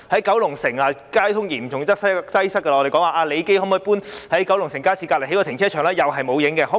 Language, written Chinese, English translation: Cantonese, 九龍城交通嚴重擠塞，我們提出李基紀念醫局能否搬遷，在九龍城街市旁邊興建停車場，同樣沒有下文。, Kowloon City suffers from serious traffic congestion . We asked whether it could relocate Lee Kee Memorial Dispensary and build a car park next to the Kowloon City Market . Again there was no answer